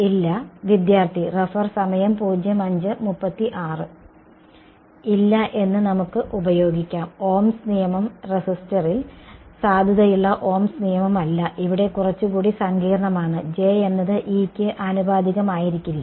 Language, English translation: Malayalam, We can use no, that Ohms law is not ohms law sort of valid in the resistor, here there is a little bit more complicated right J is not going to be proportional to E